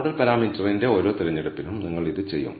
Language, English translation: Malayalam, This you will do for every choice of the model parameter